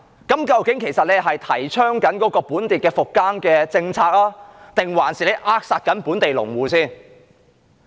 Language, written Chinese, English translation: Cantonese, 究竟這樣是提倡本地復耕政策，還是在扼殺本地農戶？, In reality is this promoting local farming rehabilitation policy or is this stifling local farmers?